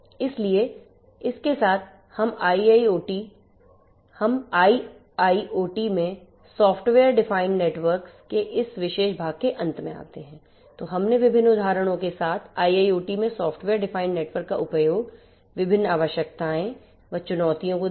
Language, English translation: Hindi, So, with this we come to an end of this particular part of the software defined networks for IIoT, we have gone through the different examples of the use of a software defined networks for IIoT the different requirements the challenges and so on